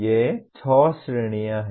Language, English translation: Hindi, These are six categories